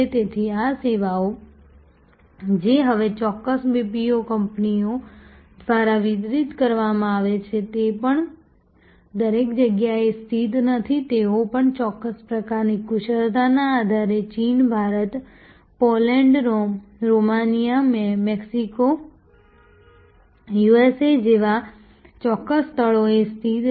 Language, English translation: Gujarati, So, these services, which are now, delivered by certain BPO companies are also not located everywhere they are also located at certain places like China, India, Poland, Romania, Mexico, USA on the basis of the expertise certain kind of expertise